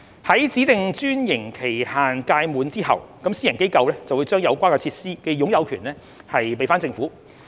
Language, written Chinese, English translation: Cantonese, 在指定專營期限屆滿後，私營機構會將有關設施的擁有權移交給政府。, When the specified franchise period expires the private sector organization will transfer the ownership of the facility to the Government